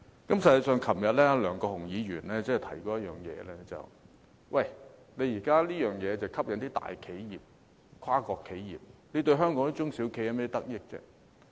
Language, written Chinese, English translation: Cantonese, 實際上，昨天梁國雄議員提到一點，現時這項政策只吸引大企業和跨國企業，對香港的中小企有何得益呢？, In fact a query was raised by Mr LEUNG Kwok - hung yesterday to ask what benefits can the policy under discussion bring to small and medium enterprises SMEs in Hong Kong when it can only attract big and transnational enterprises